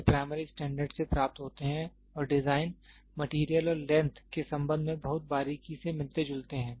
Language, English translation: Hindi, These are derived from primary standards and resemble them very closely with respect to design, material and length